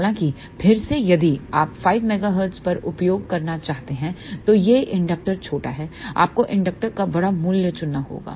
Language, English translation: Hindi, However, again if you want to use at 5 megahertz then this inductor is small you have to choose larger value of inductor